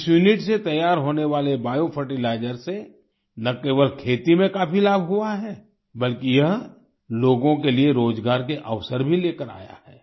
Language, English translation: Hindi, The biofertilizer prepared from this unit has not only benefited a lot in agriculture ; it has also brought employment opportunities to the people